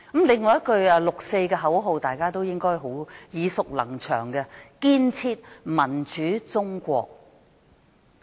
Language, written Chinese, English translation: Cantonese, 另一句六四的口號，大家應該耳熟能詳，即"建設民主中國"。, Another slogan for the 4 June incident is build a democratic China which Members must be very familiar with